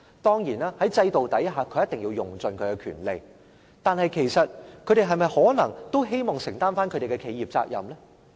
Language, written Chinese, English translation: Cantonese, 當然，在制度下，他們一定要用盡其權利，但他們是否也可能希望承擔企業責任？, Certainly under the system they must exhaust their rights . But is it possible that they also wish to shoulder corporate responsibilities?